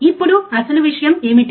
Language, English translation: Telugu, Now what should be the actual thing